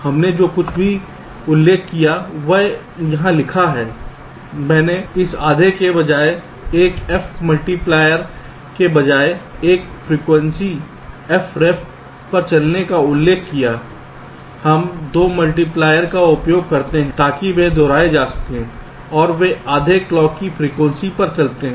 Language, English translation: Hindi, i have mentioned, instead of this, half, instead of one multiplier running at a frequency f ref, we use two multipliers, so replicated, and they run at half the clock frequency